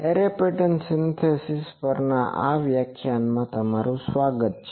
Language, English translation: Gujarati, Welcome to this lecture on Array Pattern Synthesis